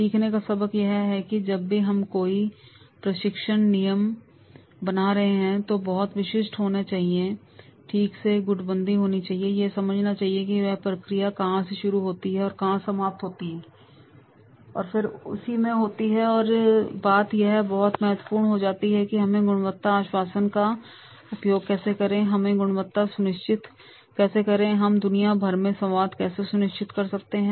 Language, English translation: Hindi, The lesson of learning is this, that is whenever we are creating any training manual, then it should be very, very specific, it should be fractionalized properly, it should be understood that is the from where the process starts and where the process ends and then in that case it becomes very, very important that is the how we are making the use of these quality assurance, how we ensure the quality, how we will ensure the test across the globe